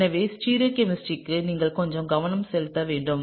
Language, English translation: Tamil, So, therefore, you need to pay a little bit of attention to stereochemistry